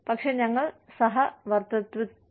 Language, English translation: Malayalam, But, we co exist